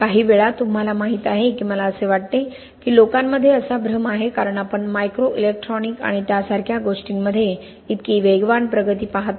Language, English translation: Marathi, Sometimes, you know I think that people have the illusion that because we see such rapid advances in things like microelectronics and things like that